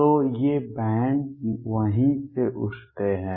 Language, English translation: Hindi, So, these bands arise from there